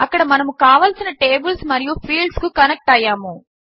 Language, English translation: Telugu, There, we have connected the related tables and fields